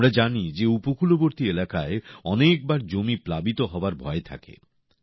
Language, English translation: Bengali, We know that coastal areas are many a time prone to land submersion